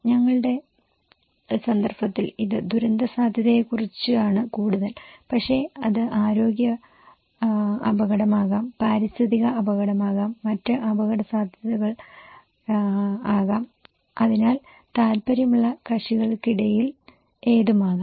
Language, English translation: Malayalam, In our context, this is more about disaster risk but it could be health risk, it could be environmental risk, it could be other risk okay so between interested parties